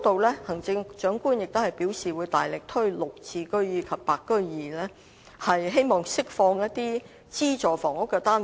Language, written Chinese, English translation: Cantonese, 此外，行政長官在施政報告中表示會大力推行"綠置居"及"白居二"，希望釋放資助房屋單位。, Moreover the Chief Executive said in the Policy Address that GSH and the Interim Scheme would be taken forward vigorously in order to release subsidized housing units